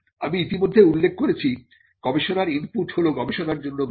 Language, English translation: Bengali, I had already mentioned the input into the research is the research spending